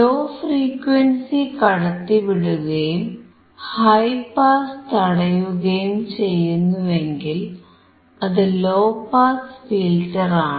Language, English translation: Malayalam, If it is allowing the low frequency to pass and it rejects high pass, then it is low pass filter